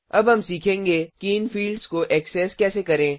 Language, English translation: Hindi, Now, we will learn how to access these fields